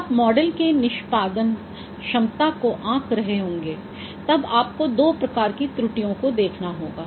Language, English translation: Hindi, So regarding this, when you are evaluating the performance of a model, there are two particular type of errors, those you should know